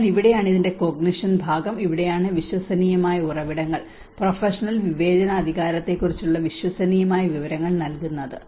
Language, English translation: Malayalam, So this is where the cognition part of it, this is where the credible sources credible information on the professional discretion